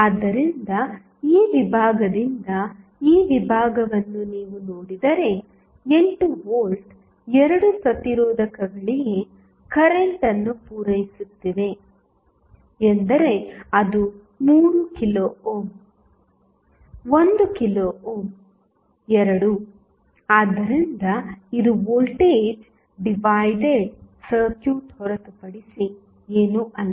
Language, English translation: Kannada, So, from this segment, if you see this segment the 8 volt is supplying current to both of the registrants is that is 3 kilo ohm, 1 kilo ohm, both, so, this is nothing but voltage divided circuit